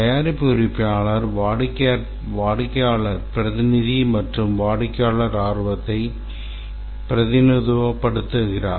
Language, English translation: Tamil, The product owner has the customer perspective and represents customer interests